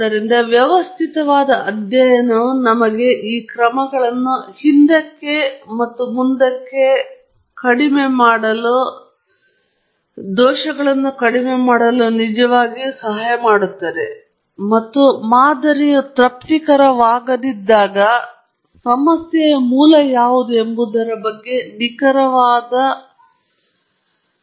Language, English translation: Kannada, So a systematic study will really help us minimize this back and forth steps, and also, be able to pin point, with a fair degree of accuracy, as to what the source of problem is when the model is not satisfactory